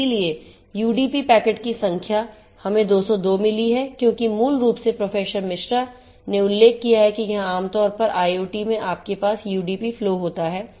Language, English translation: Hindi, So, number of UDP packet in we have received 202 because typical as Professor MR mentioned that typically in IoT scenario you have UDP flows